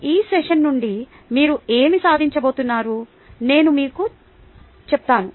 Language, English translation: Telugu, now let me tell you what are you going to achieve out of this session